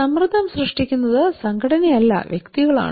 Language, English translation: Malayalam, Most of the stress are created by individual not by organization